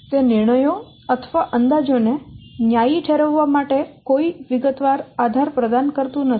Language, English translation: Gujarati, It provides no details, no detail basis for justifying the decisions or estimates